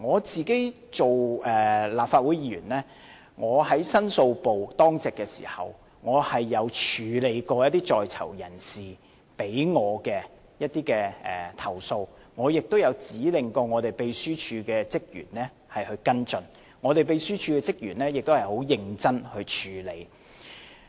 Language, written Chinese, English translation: Cantonese, 作為立法會議員，我在申訴部當值時，也處理過一些在囚人士提出的投訴，我亦有指令過秘書處職員跟進，而秘書處職員亦很認真地處理。, As a Legislative Council Member when I was on duty at the Public Complaints Office I have dealt with some complaints lodged by prisoners . I have also asked the staff of the Secretariat to follow up the complaints and they have dealt with them seriously